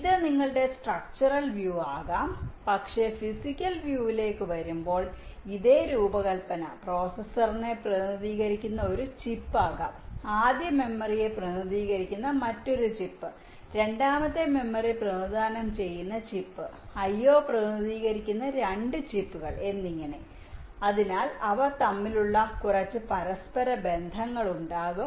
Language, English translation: Malayalam, but this same design, when it comes down to physical view, it can be one chip representing the processor, there can be another chip representing the first memory, ah chip representing the second memory, and may be two chips representing the i